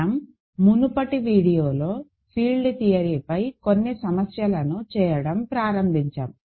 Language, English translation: Telugu, Now, we started doing some problems on field theory in the previous video